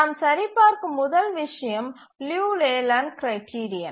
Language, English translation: Tamil, The first thing we check is the Liu Leyland criterion